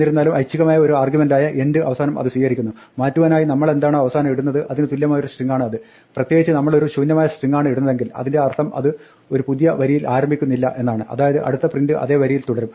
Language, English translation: Malayalam, However, it takes an optional argument end equal to string which changes what we put at the end, in particular if we put an empty string it means that it does not start a new line, so the next print will continue on the same line